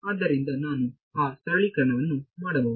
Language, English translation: Kannada, So, I can do that simplification